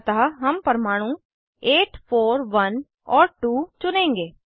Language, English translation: Hindi, So, we will choose atoms 8, 4,1 and 2